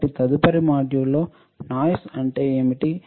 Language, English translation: Telugu, So, in the next module, let us see, what is noise